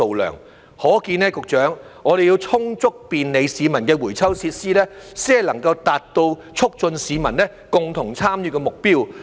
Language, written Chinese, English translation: Cantonese, 由此可見，局長，我們要有充足便利市民的回收設施，才能達到促進市民共同參與的目標。, Secretary this shows that we need to have sufficient recycling facilities which are convenient to the public in order to achieve the goal of promoting public participation